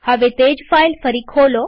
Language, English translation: Gujarati, Now close this file